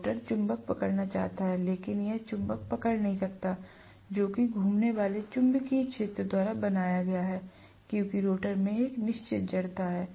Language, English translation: Hindi, The rotor is wanting to catch up with the magnet, but it cannot catch up with the magnet which is created by the revolving magnetic field because the rotor has a finite inertia